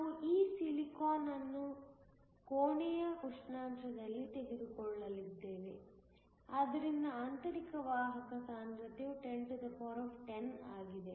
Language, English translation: Kannada, We will take this silicon to be at room temperature, so that the intrinsic carrier concentration is 1010